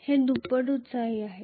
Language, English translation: Marathi, It is doubly excited